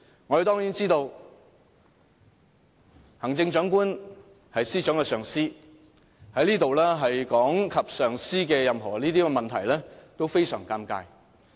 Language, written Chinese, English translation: Cantonese, 我們當然知道行政長官是司長的上司，在這裏提及上司任何問題，都非常尷尬。, We certainly know the Chief Executive is her supervisor and she will find it very embarrassing to mention his problems here